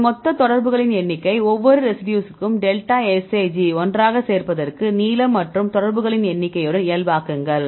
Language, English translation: Tamil, So, if we do it for each residue to get the delta Sij add up together and then normalize with the length and the number of contacts right